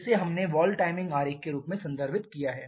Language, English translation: Hindi, This is what we referred as the valve timing diagram